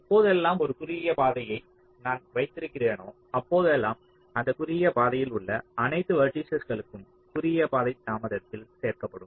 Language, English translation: Tamil, ok, so whenever i have a shortest path, all the vertices along the shortest path also will be included in the shortest path delay